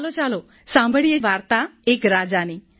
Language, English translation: Gujarati, "Come, let us hear the story of a king